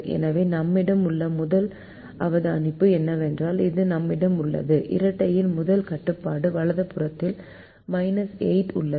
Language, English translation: Tamil, so the first observation that we have is we have this: the first constraint of the dual has a minus eight in the right hand side